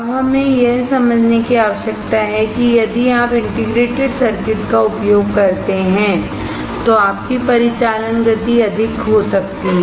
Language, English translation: Hindi, What we need to understand now is that, if you use integrated circuits then your operating speeds can be higher